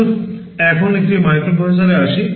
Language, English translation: Bengali, Let us now come to a microprocessor